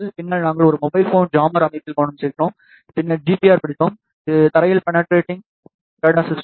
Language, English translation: Tamil, Then, we focused on a mobile phone jammer system, then we studied GPR, which ground penetrating radar system